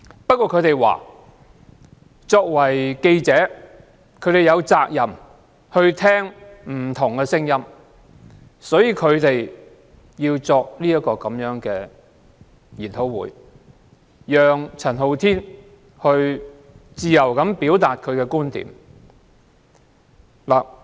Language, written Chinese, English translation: Cantonese, 不過，他們表示，記者有責任聆聽不同聲音，所以舉行這個研討會，讓陳浩天自由表達觀點。, They have clearly stated their position . However as they believe that journalists have the responsibility to listen to different views the forum was held so that Andy CHAN could freely express his views